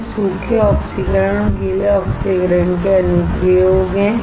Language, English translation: Hindi, These are the application of dry oxidation and wet oxidation